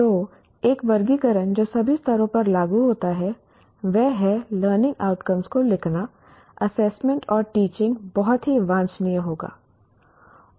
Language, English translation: Hindi, So a taxonomy that is applicable at all levels, that is to write learning outcomes, assessment and teaching will be very desirable